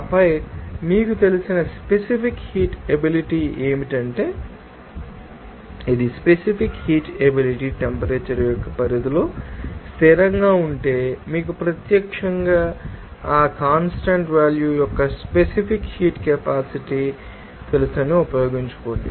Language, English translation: Telugu, And then what is the you know that specific heat capacity there, if this is specific heat capacity is constant over a range of that temperature that you can directly you know, use that you know specific heat capacity of that constant value